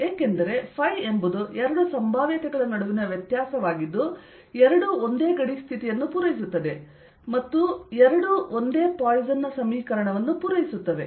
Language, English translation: Kannada, because phi is the difference between the two potentials, where both satisfy this same boundary condition and both satisfy the same poisson's equation